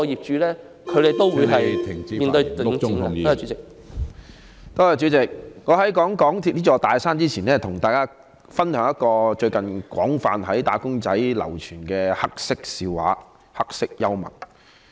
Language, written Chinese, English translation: Cantonese, 主席，在談論香港鐵路有限公司這座"大山"前，我想先跟大家分享一個最近在"打工仔"界廣泛流傳的黑色笑話、黑色幽默。, President before commenting on this big mountain called the MTR Corporation Limited MTRCL I wish to share with Members a dark joke or some black humour making its rounds among wage earners widely of late